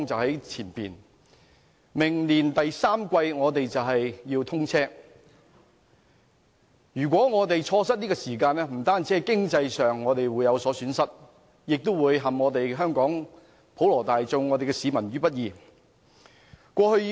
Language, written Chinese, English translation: Cantonese, 高鐵將於明年第三季通車，如果我們錯失這個時機，不單在經濟上有所損失，也會陷香港普羅市民於不義。, If we miss the opportunity of the commissioning of the Express Rail Link XRL in the third quarter next year we will suffer economically and the situation will be unjust to the general public of Hong Kong